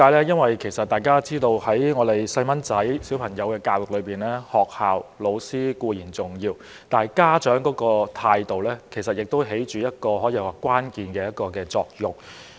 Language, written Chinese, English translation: Cantonese, 因為大家都知道在兒童教育方面，學校和教師固然重要，但家長的態度也起着關鍵作用。, As we all know although schools and teachers are certainly important in the education of children the attitude of parents also plays a key role